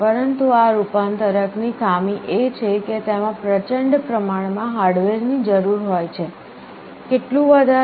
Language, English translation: Gujarati, But the drawback of this converter is that it requires enormous amount of hardware, how large